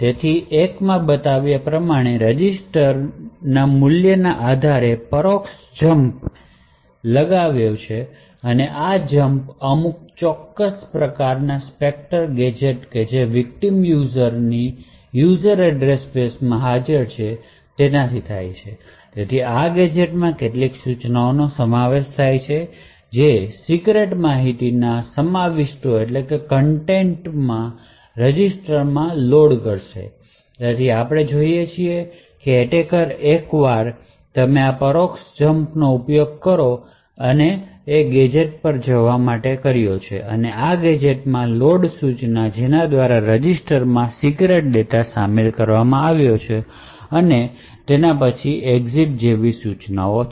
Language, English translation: Gujarati, So the first thing that has done is that the attacker would identify 2 regions in the court so 1 it has an indirect jumped based on a register value as shown over here and this jump is to some specific Spectre gadget which is present in the users victims user address space so this gadget did comprises of a few instructions that essentially would load into a register the contents of the secret information so what we see is that the attacker once you utilized this indirect Jump to this gadget and this gadget has instructions such as exit or and something like that followed by a load instruction which includes secret data into a register